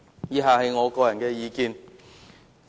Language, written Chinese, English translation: Cantonese, 以下是我的個人意見。, The following are my personal views